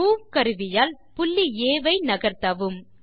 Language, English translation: Tamil, Use the Move tool to move the point A